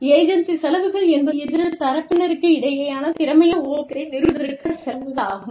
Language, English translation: Tamil, Agency costs are the costs, associated with establishing, efficient contract between the parties